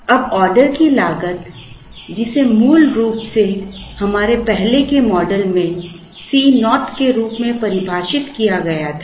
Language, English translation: Hindi, Now, the order cost which was originally defined as C naught in our earlier models